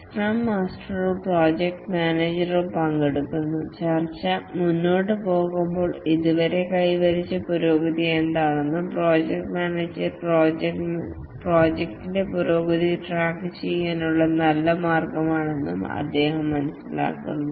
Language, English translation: Malayalam, The scrum master or the project manager participates and as the discussion proceeds, he picks up that what is the progress that has been achieved so far and this is a good way for the project manager to track the progress of the project